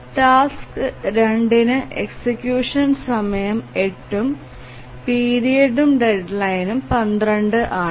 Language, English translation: Malayalam, For task 2, the execution time is 8, the period and deadline are 12